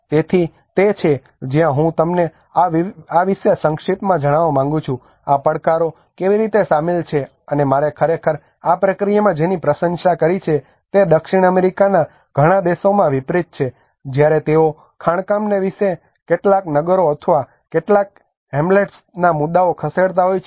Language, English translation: Gujarati, So that is where I would like to brief you about this is how these are the challenges were involved and what I really appreciate in this process is Sweden unlike in many countries in South America when they are moving some towns or some Hamlets because of the mining issues